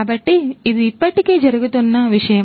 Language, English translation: Telugu, So, this is already something that is happening right